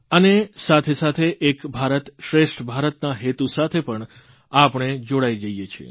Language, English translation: Gujarati, We also find ourselves connected with Ek Bharat Shrestha Bharat